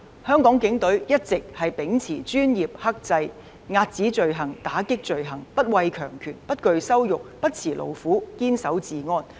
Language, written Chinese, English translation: Cantonese, 香港警隊一直秉持專業精神和克制的態度來遏止罪行、打擊罪行，並且不畏強權、不懼羞辱、不辭勞苦、堅守治安。, The Hong Kong Police Force have all along been upholding its professional spirit and restraint to curb and combat crimes . Moreover they do not fear power nor dread insults; they spare no efforts to steadfastly maintain law and order